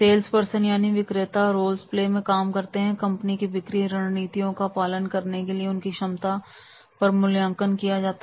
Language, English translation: Hindi, Sales persons participate in a role place and are evaluated on their ability to follow the company's selling strategies